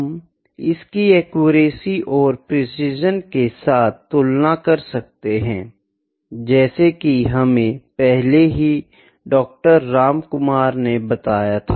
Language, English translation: Hindi, So, this can be compared with a accuracy and precision like as been discussed by Doctor Ramkumar before